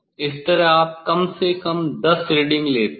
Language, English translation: Hindi, this way you take at least 10 reading